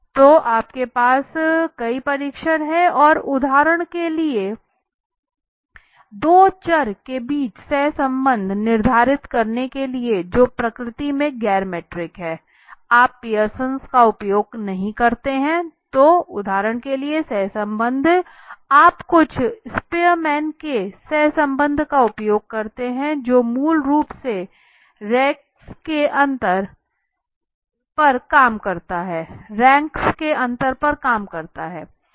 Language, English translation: Hindi, So you have several test and to determine for example determine the correlation between two variables which are non metric in nature you do not use the Pearson so for example correlation you use something called as spearman’s correlation right which work basically on the difference between the ranks right correlation